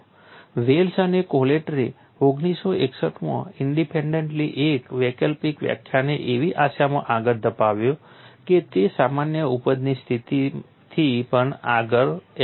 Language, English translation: Gujarati, Wells and Cottrell independently in 1961 advanced an alternative concept in the hope that it would apply even beyond general yielding condition